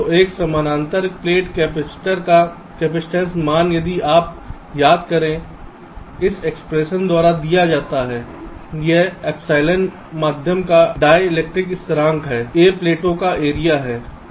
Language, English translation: Hindi, so the capacitance value of a parallel plate capacitor, if you recall, is given by this expression, where epsilon is a ah dielectric constant of the medium, a is the area of the plates and d is the separation